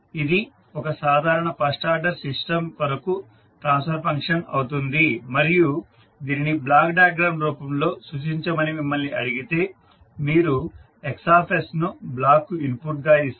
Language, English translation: Telugu, So this will be the transfer function for a typical first order system and if you are asked to represent it in the form of block diagram, so you will give Xs as an input to the block